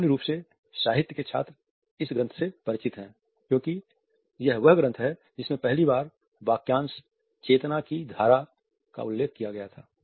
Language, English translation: Hindi, A students of literature in general are familiar with this work because it is this work which for the first time had also mentioned the phrase stream of consciousness